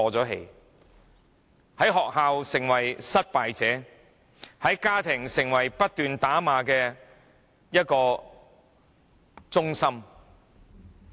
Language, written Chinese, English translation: Cantonese, 他們在學校成為失敗者，在家庭成為不斷被打罵的中心。, They will end up being losers at school and often beaten and scolded by parents at home